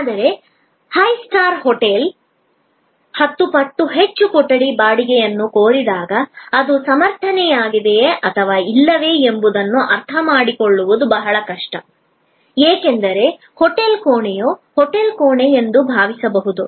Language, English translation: Kannada, But, when a high star hotel demands ten times more room rent, it is often very difficult to comprehend that whether that is justified or not, because one may feel a hotel room is a hotel room